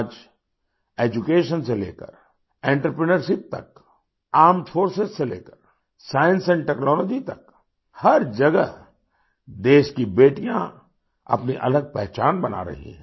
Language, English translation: Hindi, Today, from education to entrepreneurship, armed forces to science and technology, the country's daughters are making a distinct mark everywhere